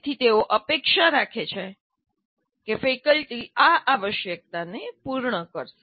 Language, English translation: Gujarati, So they expect faculty to perform to meet these requirements